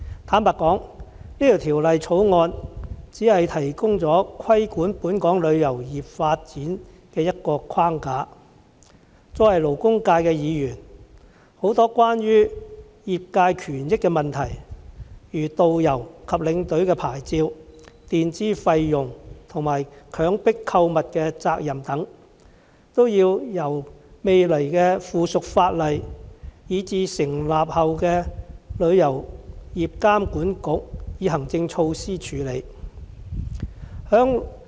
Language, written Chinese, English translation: Cantonese, 坦白說，《條例草案》只提供規管本港旅遊業發展的一個框架，勞工界議員關注的很多關於業界權益的問題，例如導遊及領隊的牌照、墊支費用及強迫購物的責任等，均要由未來的附屬法例以至成立後的旅遊業監管局以行政措施處理。, To be honest the Bill provides merely a framework for regulating Hong Kongs travel industry . As for the many issues that members representing the labour sector have been concerned about such as licensing of tourist guides and tour escorts reimbursements for advanced payments and liabilities arising from coerced shopping etc they have to be addressed through subsidiary legislations and administrative measures enforced by the future Travel Industry Authority TIA upon its establishment